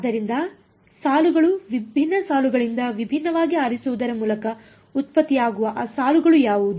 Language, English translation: Kannada, So, the rows, what are the rows coming by the different rows are being generated by choosing different what